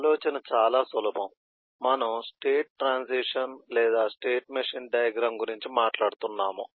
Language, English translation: Telugu, we are talking about state transition or state machine diagram